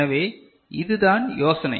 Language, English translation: Tamil, So, that is the idea, right